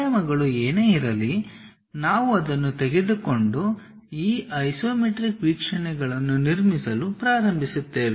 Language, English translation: Kannada, Whatever the dimensions give you maximum maximum idea about the object that one we will take it and start constructing these isometric views